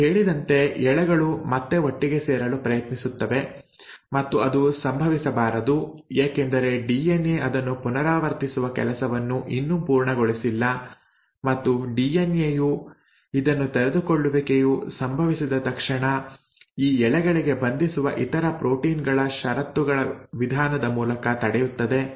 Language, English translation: Kannada, Now as I mentioned the strands will try to come back together and that should not happen because the DNA has still not finished its job of replicating it and the way DNA prevents this is by a clause of another proteins which as soon as the unwinding has happened bind to these strands